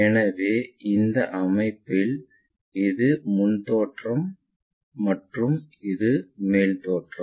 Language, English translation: Tamil, So, this will be the front view and this will be the top view of the system